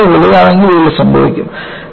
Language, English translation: Malayalam, If it is greater than that, then yielding will occur